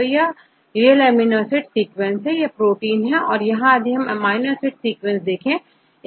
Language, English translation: Hindi, So, now this is a real amino acid sequence right, this is a protein; so here if you see this amino acid sequence